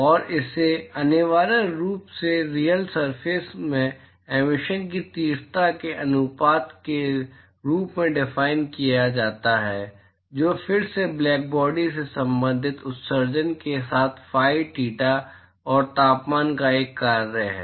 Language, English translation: Hindi, And, it is essentially defined as the ratio of the intensity of emission from the real surface which is again a function of phi, theta and temperature with the corresponding emission from blackbody